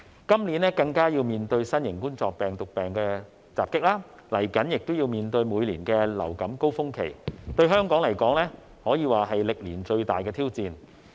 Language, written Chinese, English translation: Cantonese, 今年更要面對新型冠狀病毒病來襲，即將亦要面對每年的流感高峰期，對香港來說可算是歷年最大的挑戰。, This year we are facing the onslaught of the novel coronavirus disease epidemic and the upcoming annual influenza peak season we can say that Hong Kong is taking on the biggest challenge ever